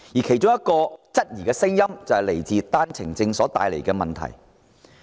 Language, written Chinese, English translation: Cantonese, 其中一種質疑聲音正是源自單程證所帶來的問題。, One type of criticism stems precisely from the problems caused by OWPs